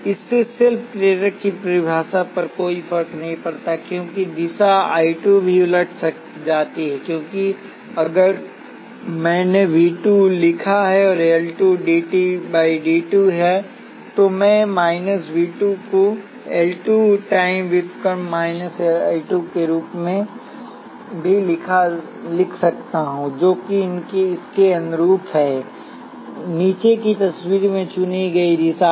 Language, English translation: Hindi, This makes no difference to the self inductance definition because direction I 2 also reversed, because if I wrote V 2 is L 2 dI 2 dt, I could also write minus V 2 as L 2 time derivative of minus I 2, which corresponds to the direction chosen in the bottom picture